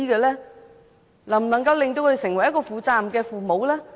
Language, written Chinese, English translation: Cantonese, 能否令他們成為負責任的父母？, Did we do enough to prepare them to become responsible parents?